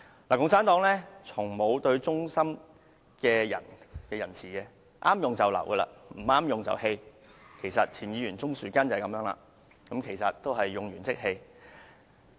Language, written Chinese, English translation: Cantonese, 共產黨從沒仁慈對待忠心的人，合用便留，不合用便棄，就如前議員鍾樹根，同樣是"用完即棄"。, Never did the Communists treat loyal people with mercy . Their motto is People still of use can stay and those of no use should be dumped . For example former legislator Mr Christopher CHUNG is precisely someone being dumped after use